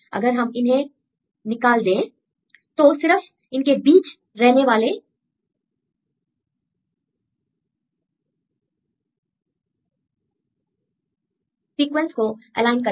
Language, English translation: Hindi, And if you remove the terminal gaps then we align only the sequences which is in between